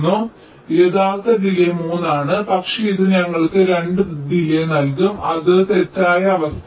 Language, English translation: Malayalam, so, true, delay is three, but it will give us a delay of two, which is an incorrect condition, right